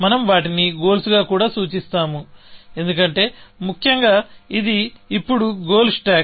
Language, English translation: Telugu, We will refer to them also, as goals, because this is a goal stack now, essentially